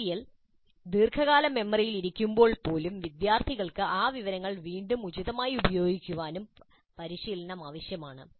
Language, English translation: Malayalam, Even when the material is in long term memory already, students need practice retrieving that information and using it appropriately